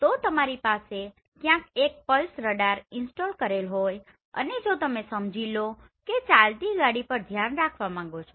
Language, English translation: Gujarati, So if you have the pulsed radar installed somewhere and you are looking at maybe a moving car